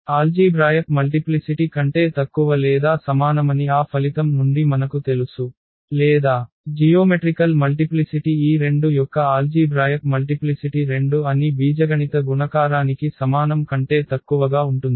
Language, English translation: Telugu, What we know from that result that algebraic multiplicity is less than or equal to the, or the geometric multiplicity is less than equal to the algebraic multiplicity that the algebraic multiplicity of this 2 was 2